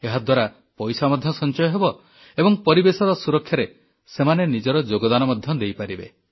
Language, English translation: Odia, This will result in monetary savings, as well as one would be able to contribute towards protection of the environment